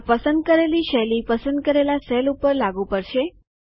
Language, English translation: Gujarati, This will apply the chosen style to the selected cells